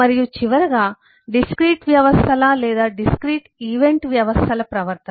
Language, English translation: Telugu, and, finally, the behavior of the discrete systems or the discrete event systems